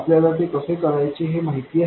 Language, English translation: Marathi, We know how to do that